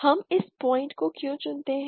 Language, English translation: Hindi, Why do we choose this point